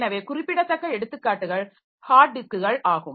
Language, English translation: Tamil, So, typical examples are hard disk